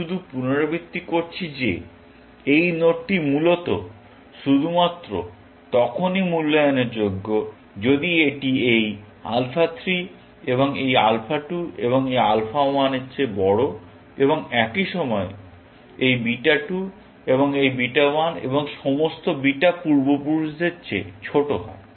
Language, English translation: Bengali, I just repeat, this node is worth evaluating only, if it is higher than this alpha 3, and this alpha 2, and this alpha 1, and at the same time, lower than this beta 2, and this beta 1, and all the beta ancestors, essentially